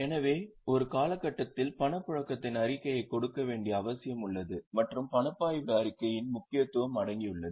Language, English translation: Tamil, So, there is a need to give a summary of movement of cash in a period and there comes the importance of cash flow statement